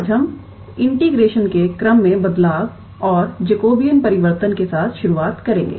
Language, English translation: Hindi, Today we will start with a change of order of integration and Jacobean transformation